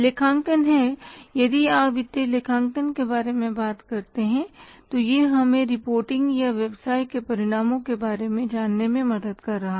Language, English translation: Hindi, Accounting is if you talk about the financial accounting it is helping us to reporting or knowing about the results of the business